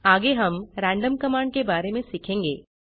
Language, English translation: Hindi, Next we will learn about random command